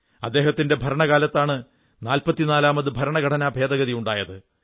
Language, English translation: Malayalam, During his tenure, the 44th constitutional amendment was introduced